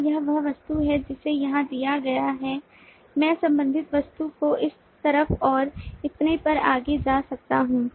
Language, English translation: Hindi, is it that, given the object here, i can go to the related object on this other side, and so on so forth